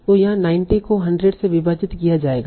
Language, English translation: Hindi, So like here it will be 90 divided by 100